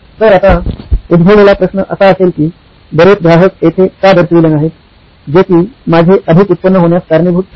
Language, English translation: Marathi, So the question to ask right now would be, why don’t many customers show up, thus which will result in my high revenue